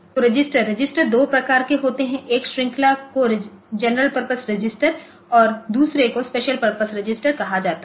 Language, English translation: Hindi, of registers one category is called general purpose or that is called special purpose